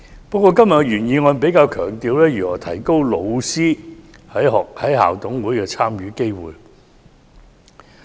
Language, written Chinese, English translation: Cantonese, 不過，原議案比較強調如何提高老師在校董會的參與機會。, However the original motion emphasizes how to increase the participation by teachers in the school management committees